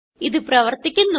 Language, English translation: Malayalam, it is working